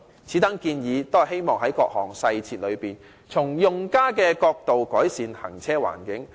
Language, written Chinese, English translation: Cantonese, 此等建議均希望在各項細節中，從用家角度改善行車環境。, In making these recommendations I hope the cycling environment can be improved in every detail from the angle of users